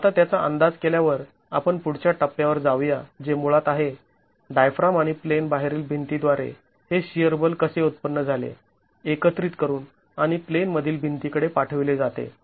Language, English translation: Marathi, Now having estimated that let's go on to the next stage which is basically how is this shear force generated by the diaphragm and the out of plain wall collected and sent to the in plain walls